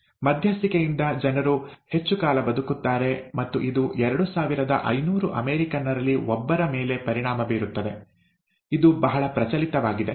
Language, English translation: Kannada, With intervention, people live much longer, and it affects one in two thousand five hundred Americans, it's a very prevalent